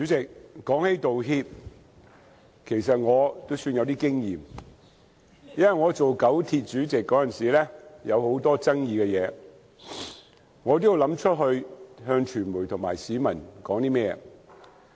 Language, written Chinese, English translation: Cantonese, 主席，關於道歉，其實我也算有經驗，因為我擔任九廣鐵路公司主席時曾面對很多具爭議的事情，我也要思考如何對傳媒和市民作出回應。, President in respect of making apologies I am in a way quite experienced . As a former Chairman of the Kowloon - Canton Railway Corporation KCRC I saw many controversial issues and had to look into ways to respond to the media and the general public